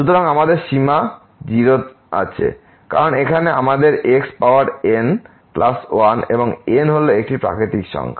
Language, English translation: Bengali, So, we have the limit because here we have the power plus and n is a natural number